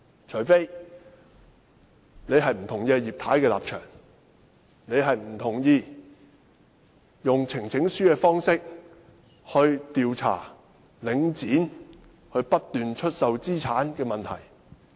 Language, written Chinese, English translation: Cantonese, 除非，你不同意葉太的立場，不同意用呈請書的方式調查領展不斷出售資產的問題。, You should not do so unless you disapprove of Mrs IPs stance unless you do not support the use of petitions as a means of investigating Links incessant sale of assets